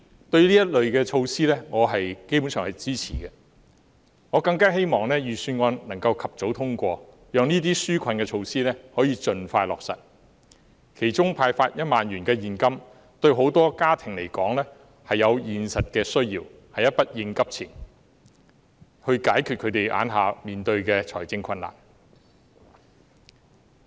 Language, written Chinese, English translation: Cantonese, 對於這類措施，我基本上是支持的，我更希望預算案能夠及早通過，讓這些紓困措施可以盡快落實，其中派發1萬元現金對很多家庭來說有現實的需要，是一筆應急錢，以解決他們當前面對的財政困難。, I further hope that the Budget can be passed expeditiously so that these relief measures can be implemented as soon as possible . Among them the 10,000 cash handout is practically needed by many families . It can serve as an emergency fund to resolve the financial difficulties they are facing right now